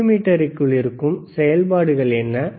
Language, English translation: Tamil, What are the functions within the multimeter